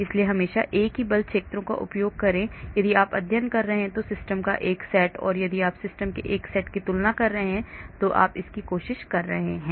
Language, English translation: Hindi, So always use the same force fields if you are studying, a set of system and if you are trying to compare a set of system